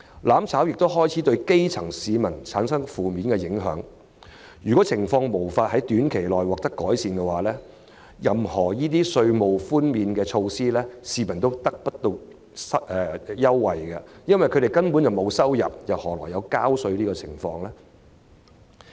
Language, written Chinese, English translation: Cantonese, "攬炒"亦開始對基層市民產生負面影響，如情況在短期內無法改善，無論推出甚麼稅務寬免措施，市民也無法受惠，因為他們根本沒有收入，何來納稅？, The negative impacts of burning together have begun to spread to the grass roots as well . If there is no improvement in the situation in the short term the public will not benefit from tax reduction measures in whatever forms they are implemented . For what need would they have of paying taxes if they have no income in the first place?